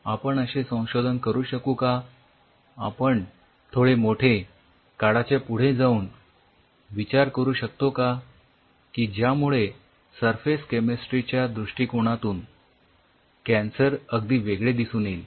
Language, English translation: Marathi, could we think little louder, much ahead of our time, that could make whole lot of difference on looking at cancer from a surface chemistry point of view